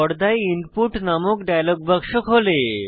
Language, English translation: Bengali, An Input dialog box opens on the screen